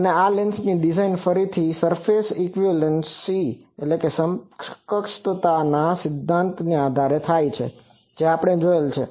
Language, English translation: Gujarati, So, this lens design is again from the surface equivalence principle that we have seen